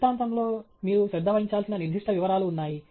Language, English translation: Telugu, In the illustration, there are specific details that you should pay attention to